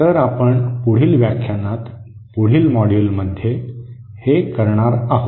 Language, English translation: Marathi, So that is what we will be doing in the next lecture, next module